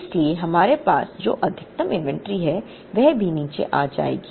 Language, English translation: Hindi, Therefore, the maximum inventory that we hold will also come down